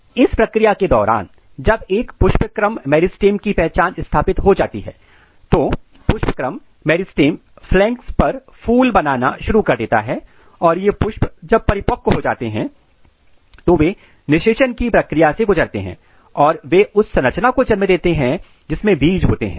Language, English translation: Hindi, And during this process when there is a inflorescence meristem identity is established, then inflorescence meristem will start making flowers on the flanks and these flowers once they mature they undergo the process of fertilization and they give rise to the structure which contains the seeds